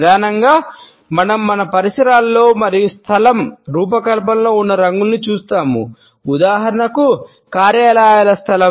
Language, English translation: Telugu, Primarily, we look at colors in our surroundings and in the design of a space, offices space for example